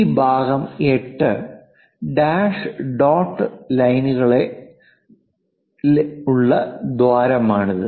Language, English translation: Malayalam, This part is 8; this is the hole with dash dot lines